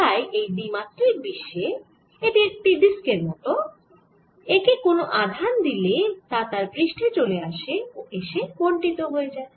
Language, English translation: Bengali, so in two dimensional world it will be like a disk and if you give a charge here it is all coming to the surface, it get distributed on the surface